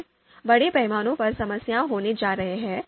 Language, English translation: Hindi, Then, there is going to be scale problem